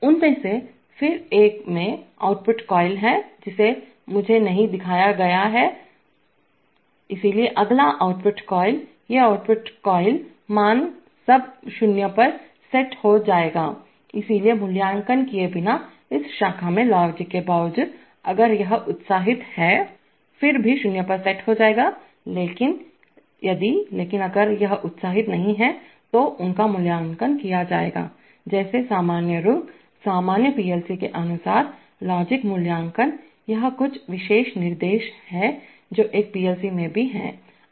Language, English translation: Hindi, Each one of them has an output coil here, which I am not shown, so the next output coils, these output coil values will all set to zero, so without evaluating, irrespective of the logic in this branch if this is excited, Then there will be all set to 0, but if, but if this is not excited then they will be evaluated normal, like normal rungs, according to normal PLC logic evaluation, this, there are some special instructions which also are there in a PLC RLL program language, for example this is a sequencer